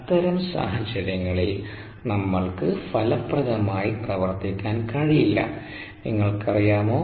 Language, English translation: Malayalam, we will not be able to operate effectively under those conditions